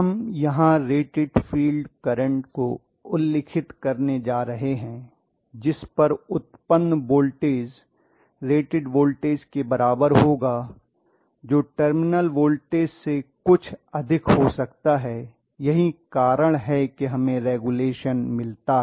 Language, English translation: Hindi, So we are going to specify here rated IF at which the rated voltage the generator voltage will be at rated value which can be slightly higher than whatever is my terminal voltage that is why I am getting regulation